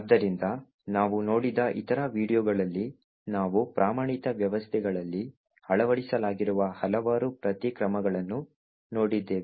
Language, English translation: Kannada, So, in the other videos that we have looked at we have seen that there are several countermeasures that have been implemented in standard systems